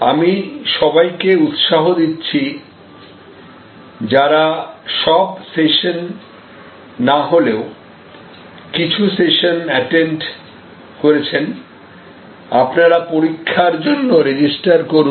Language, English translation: Bengali, And I would encourage all of you who have attended even some of the sessions, if not all the sessions to register for the examination